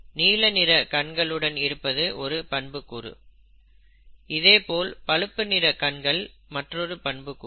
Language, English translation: Tamil, Blue colored eyes is a trait, brown colored eyes is another trait, and so on